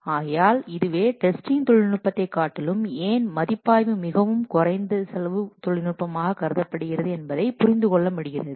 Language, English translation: Tamil, So that's why review is much more cost effective than the testing technique